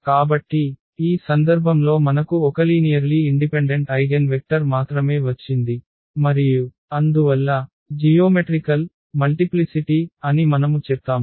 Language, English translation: Telugu, So, in this case we got only one linearly independent eigenvector and therefore, we say that the geometric multiplicity